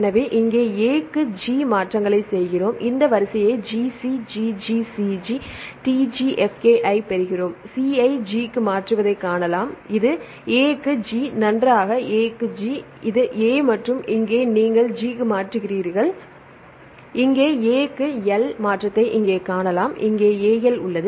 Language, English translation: Tamil, So, here makes changes A to G, we get this sequence GC G GC G CTG F K I, we can see the change C to G, this A to G right, fine A to G, this is the A and here you change to G and here you can see the change to A to L with this a here and here is AL